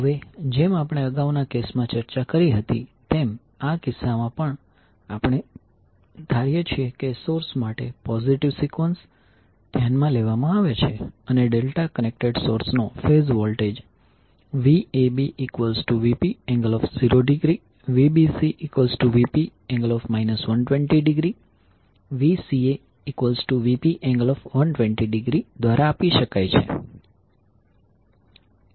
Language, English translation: Gujarati, Now as we discussed in the previous cases, in this case also we assume that the positive sequence is considered for the source and the phase voltage of delta connected source can be given as Vab is equal to Vp angle 0 degree